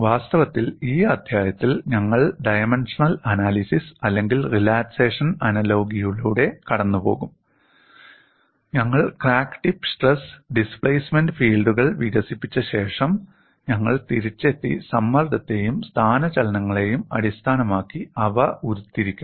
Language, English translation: Malayalam, In fact, in this chapter we would go by dimensional analysis or a relaxation analogy, after we develop crack tip stress and displacement fields, we will come back and derive them based on stress and displacements